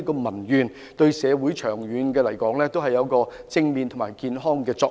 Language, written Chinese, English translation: Cantonese, 長遠而言，對社會亦有正面和健康的作用。, In the long run it will have positive and healthy effect to society